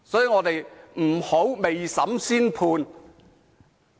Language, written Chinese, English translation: Cantonese, 我們不應未審先判。, We should not make a judgment before trial